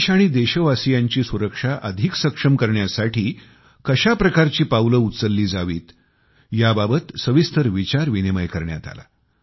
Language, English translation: Marathi, What kind of steps should be taken to strengthen the security of the country and that of the countrymen, was discussed in detail